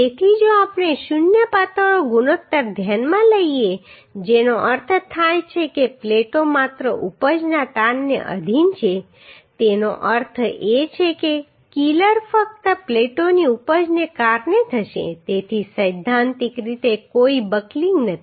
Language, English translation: Gujarati, So if we consider zero slenderness ratio that means the plates will be subjected to only yield stress that means the filler will happen due to the yielding of the plates only so there is no buckling theoretically